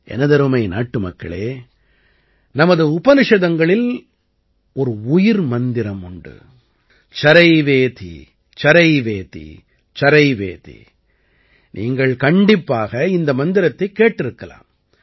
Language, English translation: Tamil, My dear countrymen, our Upanishads mention about a life mantra 'CharaivetiCharaivetiCharaiveti' you must have heard this mantra too